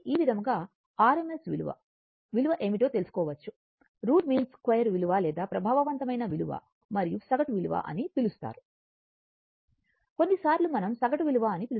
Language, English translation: Telugu, So, this way you can find out that what is the value of your what you call I value and this is called your r m s value, root mean square value or effective value and average value sometimes we call mean value right